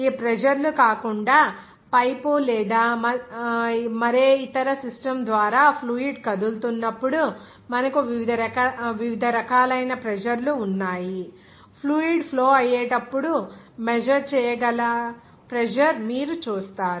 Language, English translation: Telugu, Even other than these pressures, you will have different types of pressure whenever fluid will be moving through a pipe or any other system, like you will see that whenever fluid will be flowing, the measurable pressure